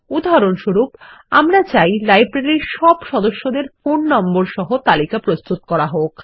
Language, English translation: Bengali, our example is to list all the members of the Library along with their phone numbers